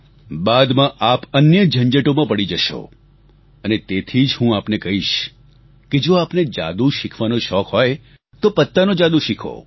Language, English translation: Gujarati, At that time you will be tangled into other things and therefore I tell you if you have a passion to learn magic then learn the card tricks